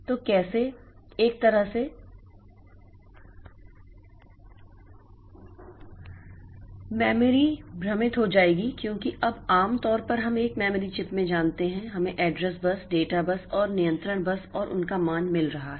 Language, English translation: Hindi, So, how to, how like, so memory will get confused because now normally we know in a memory chip we have got address bus, data bus and control bus and those values coming